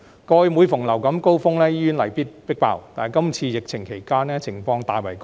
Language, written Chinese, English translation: Cantonese, 過去每逢流感高峰期，醫院例必被"迫爆"，今次疫情期間情況卻大為改善。, Previously whenever there was a surge of influenza hospitals would inevitably be overcrowded . However the situation has been greatly improved during the current pandemic